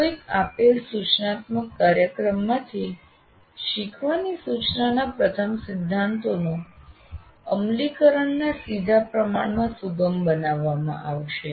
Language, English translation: Gujarati, So, learning from a given instructional program will be facilitated in direct proportion to the implementation of the first principles of instruction